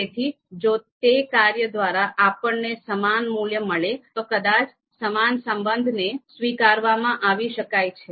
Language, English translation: Gujarati, So if through that function we get the equivalent value, then probably that equivalence relation is, that equal relation is allowed